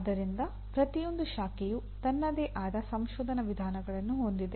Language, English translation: Kannada, So each branch has its own research methods